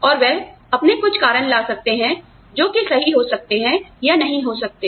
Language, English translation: Hindi, And, they may try to come up with their own reasons, which may, or may not be true